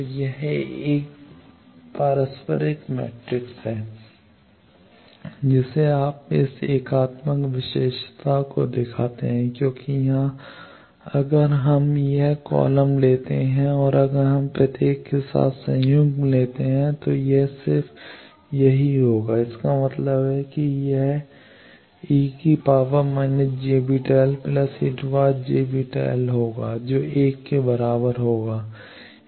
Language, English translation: Hindi, So, this is a reciprocal matrix also you see this satisfies unitary property because here if we take that this column if we take conjugate with each it will be just the; that means, it will be e to the power minus j beta l into e to the power plus j beta l which will be equal to 1